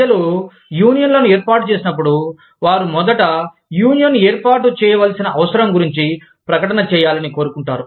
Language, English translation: Telugu, When people form unions, they want they first advertise, their need to form a union